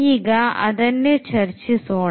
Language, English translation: Kannada, So, let us discuss now